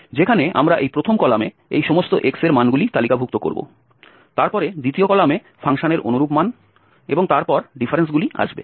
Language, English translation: Bengali, So, the first column will contain the values of x here, the second one its corresponding values of the function